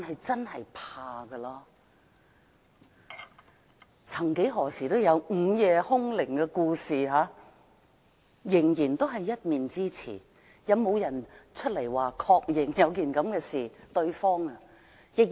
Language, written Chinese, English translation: Cantonese, 曾幾何時有人提及午夜凶鈴，但那仍然是一面之詞，有沒有人確認曾經發生這種事？, At one time someone mentioned the frightening phone call in the middle of the night but that is still a one - sided statement; has anyone confirmed the occurrence of such an incident?